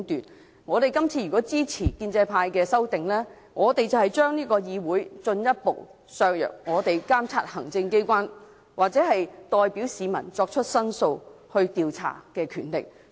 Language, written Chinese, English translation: Cantonese, 如果我們今次支持建制派的修訂，便會進一步削弱我們這個議會監察行政機關，或代表市民作出申訴和調查的權力。, If we support the amendments proposed by the pro - establishment camp this time around this legislatures power of monitoring the executive or voicing peoples grievances on their behalf and conducting inquiries will be further weakened